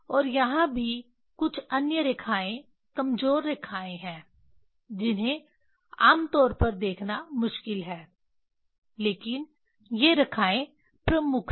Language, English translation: Hindi, and here also there are some other lines weak lines it is difficult to see them generally but these lines are prominent